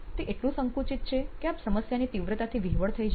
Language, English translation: Gujarati, Is it narrow enough that you are not overwhelmed by the magnitude of the problem